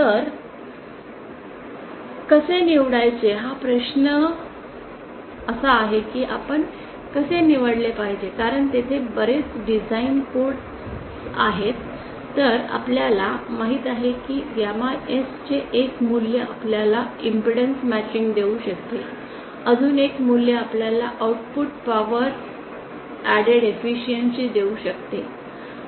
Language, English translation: Marathi, So how to select question is how to what should we select because there are so many design codes so you know one value of gamma S might give you impedance matching one another value might give you output power added efficiency